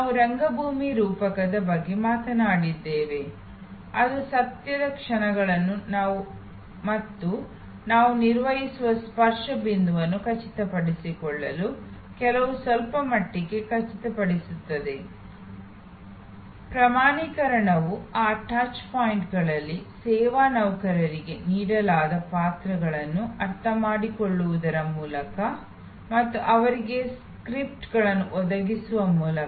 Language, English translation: Kannada, We talked about the theater metaphor that to ensure at the moments of truth and the touch point we maintain, some ensure to some extent, standardization is by understanding the roles given to the service employees at those touch points and providing them with scripts